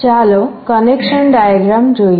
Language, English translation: Gujarati, Let us look at the connection diagram